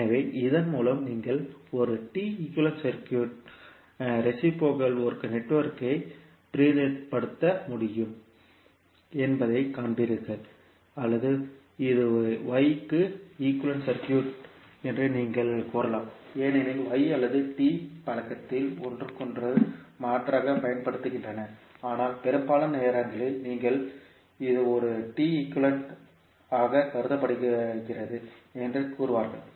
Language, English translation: Tamil, So, with this you will see that you can represent a network which is reciprocal into a T equivalent circuit or you can also say this is Y equivalent circuit because Y or T are used interchangeably in the literature, but most of the time you will say that it is considered as a T equivalent